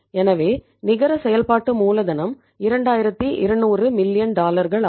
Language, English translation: Tamil, So the net working capital is dollar 2200 millions